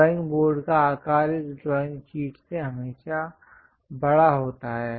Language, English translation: Hindi, The drawing board size is always be larger than this drawing sheet